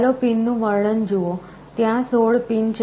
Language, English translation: Gujarati, Let us look at the pin description; there are 16 pins